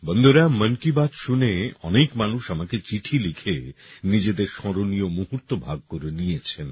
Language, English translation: Bengali, Friends, many people who listened to 'Mann Ki Baat' have written letters to me and shared their memorable moments